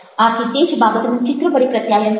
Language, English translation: Gujarati, so communicate the same thing, so image